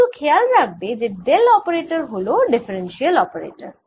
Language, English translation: Bengali, this operator is actually a differential operator